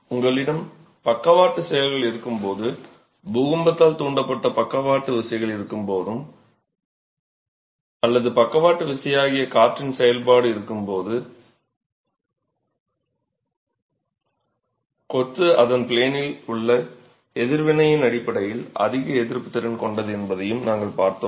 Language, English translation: Tamil, We also saw that when you have lateral actions, when you have earthquake induced lateral forces or you have wind action which is a lateral force, then the masonry is more resistant in terms of its in plain response